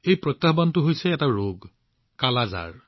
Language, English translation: Assamese, This challenge, this disease is 'Kala Azar'